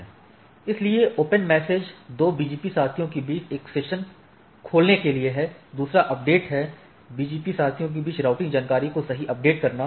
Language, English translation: Hindi, So, one is the open opening the season between the two BGP peers another is the update, updating routing information across the BGP peers right